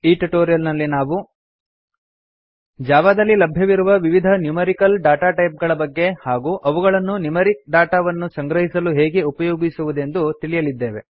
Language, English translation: Kannada, In this tutorial, we will learn about: The various Numerical Datatypes available in Java and How to use them to store numerical data